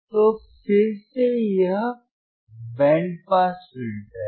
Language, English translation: Hindi, So, again this is band pass filter